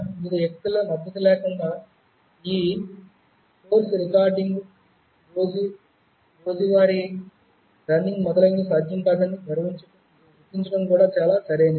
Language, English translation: Telugu, Also it would be very proper to acknowledge the support of various people without which this course recording, the regular day to day running, etc